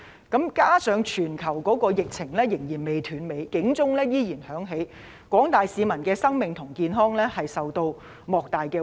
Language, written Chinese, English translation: Cantonese, 加上全球疫情仍然未斷尾，警號仍然響起，廣大市民的生命和健康繼續受到莫大威脅。, In addition the global outbreak has not come to an end and the alarm is still on . The lives and health of the general public remain under great threat